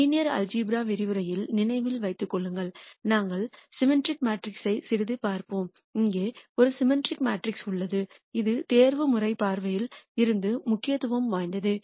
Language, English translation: Tamil, Remember in the linear algebra lecture we said that we will be seeing symmetric matrices quite a bit and here is a symmetric matrix that is of importance from an optimization viewpoint